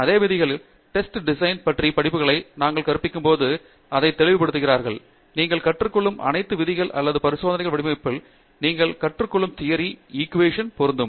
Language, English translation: Tamil, The same rules, when we teach courses on design of experiments we make it very clear, that all the rules that you learn or the theory that you learn in design of experiments equally applies to simulations